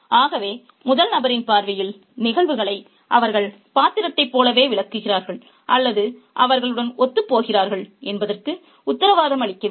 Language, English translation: Tamil, So, the first person point of view does not guarantee that they will interpret events in the same way as the character or that they will empathize with them